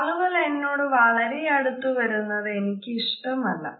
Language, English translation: Malayalam, I do not like it, when people are too close to me